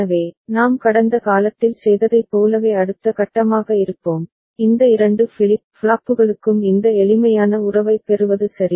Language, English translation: Tamil, So, next step we will be as we had done in the past is to get the corresponding this simplified relationship for these two flip flops ok